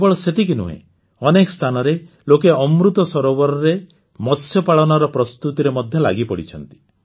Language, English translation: Odia, Not only this, people at many places are also engaged in preparations for fish farming in Amrit Sarovars